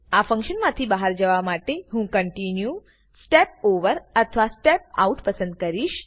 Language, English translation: Gujarati, To get out of this function I can either choose Continue, Step Over or Step Out